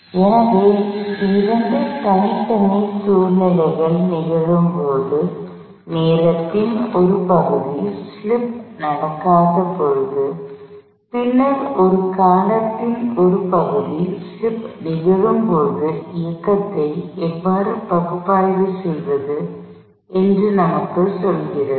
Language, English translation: Tamil, So, this tells us, how to analyze motion, when you have two separate situations happening, a part of time, when slip was not happening, and then a sub sequence part of time, when slip was happening